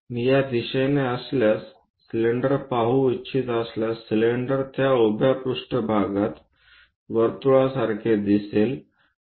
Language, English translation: Marathi, If i is from this direction would like to see the cylinder, the cylinder looks like a circle on that vertical plane